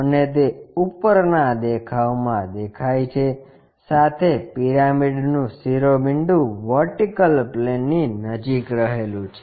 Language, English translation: Gujarati, And that is visible in the top view, with apex of the pyramid being near to vertical plane